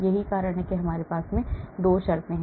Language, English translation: Hindi, that is why we have these 2 terms